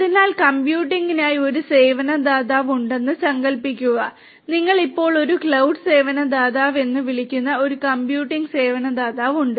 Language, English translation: Malayalam, So, instead imagine a scenario that there is a service provider for computing, you have a computing service provider which we call as the cloud service provider now